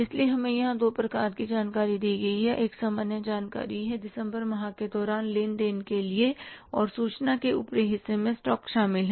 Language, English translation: Hindi, One is the general information that is the for the transactions during the month of December and the upper part of the information includes the stocks